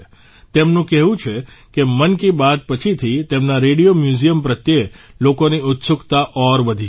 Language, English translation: Gujarati, He says that after 'Mann Ki Baat', people's curiosity about his Radio Museum has increased further